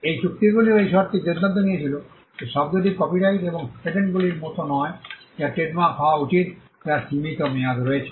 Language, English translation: Bengali, These treaties also decided on the term what the term should be trademark unlike copyright and patents which have a limited term, trademarks have an renewable term